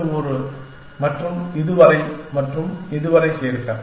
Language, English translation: Tamil, And add this one and so on and so far